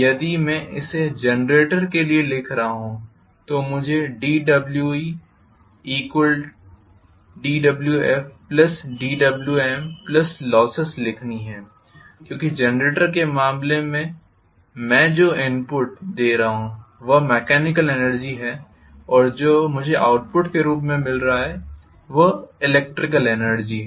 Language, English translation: Hindi, If I am writing this for the generator I have to write d W m is equal to d W f plus d W e plus losses because in the case of generator what I am giving as the input is mechanical energy and what I am getting as the output is electrical energy